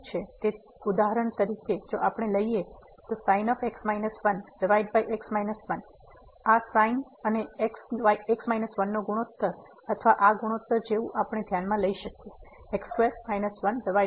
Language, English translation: Gujarati, So, for example, if we consider this minus 1 over minus this ratio of and minus or we can consider like square minus over x minus